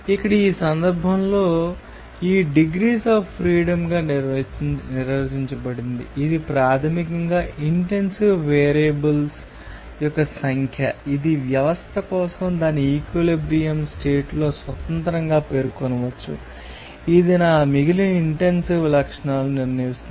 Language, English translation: Telugu, Here, in this case, this rule is defined as a degree of freedom, which is basically number of intensive variables that can be specified independently for a system at its equilibrium condition, which determines my all remaining intensive properties